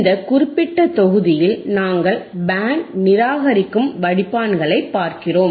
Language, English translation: Tamil, In Tthis particular module, we are looking at the Band Reject Filters right